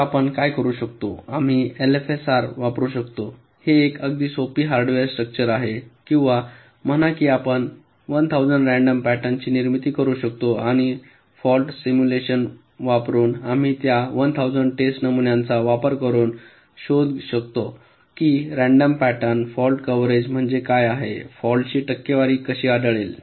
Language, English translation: Marathi, so what we can do, we can use an l f s r it's a very simple hardware structure or say we can generate one thousand random patterns and using fault simulation we can find out that using those one thousand test patterns, random patterns, what is the fault coverage